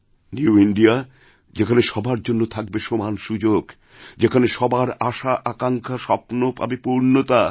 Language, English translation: Bengali, In the New India everyone will have equal opportunity and aspirations and wishes of everyone will be fulfilled